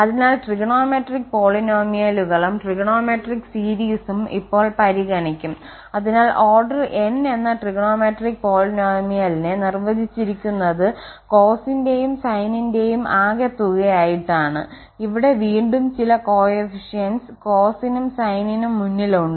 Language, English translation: Malayalam, So, what are the trigonometric polynomials and then trigonometric series will be considering now, so the trigonometric polynomial of order n is defined as this some constant and then sum of the cosine and the sine functions with again some coefficients here sitting in front of cos and sin